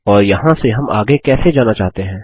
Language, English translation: Hindi, And how do we want to proceed from here